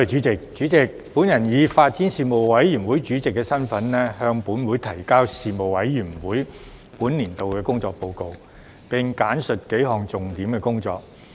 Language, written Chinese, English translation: Cantonese, 主席，我以發展事務委員會主席的身份，向本會提交事務委員會本年度的工作報告，並簡述數項重點工作。, President in my capacity as Chairman of the Panel on Development the Panel I submit to this Council the report on the work of the Panel for the current session . I will also highlight several major items of work of the Panel